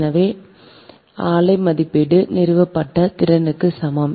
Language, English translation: Tamil, therefore plant rating is equal to installed capacity